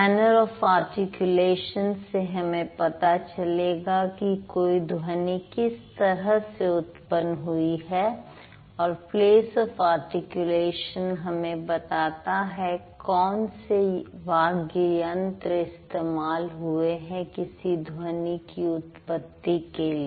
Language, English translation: Hindi, So, the manner of articulation is going to tell us how this is produced, like how a particular sound is produced and the place of articulation is going to tell us which speech organs are used when we produce this sound